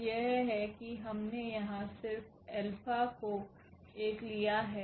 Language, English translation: Hindi, So, that is here we have taken just alpha 1